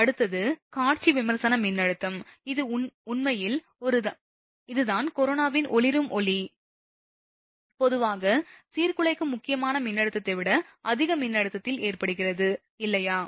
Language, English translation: Tamil, Next one is visual critical voltage, this is actually this is that visual luminous glow of corona, generally occurs at a voltage higher than the disruptive critical voltage, right